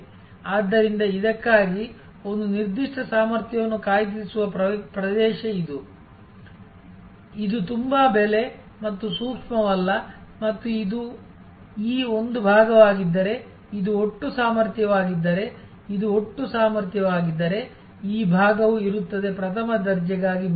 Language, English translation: Kannada, Therefore, this is the area where a certain capacity will be booked for this, this is not very price and sensitive and this will be a this part of the if this is the total capacity if this is the total capacity, then this part will be reserve for first class